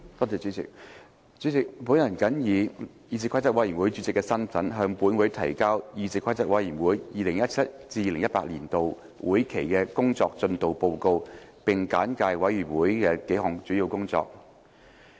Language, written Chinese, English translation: Cantonese, 主席，本人謹以議事規則委員會主席的身份，向本會提交議事規則委員會 2017-2018 年度會期的工作進度報告，並簡介委員會數項主要工作。, President in my capacity as Chairman of the Committee on Rules of Procedure I submit to this Council the progress report of the Committees work during the legislative session of 2017 - 2018